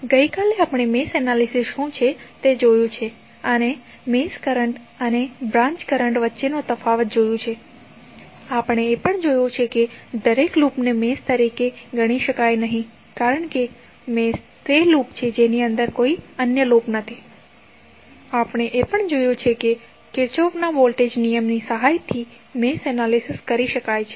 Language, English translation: Gujarati, So, yesterday we saw the what is mesh analysis and we stabilized the difference between the mesh current and the branch current and we also saw that the every loop cannot be considered as mesh because mesh is that loop which does not contain any other loop within it and we also saw that the mesh analysis can be done with the help of Kirchhoff Voltage Law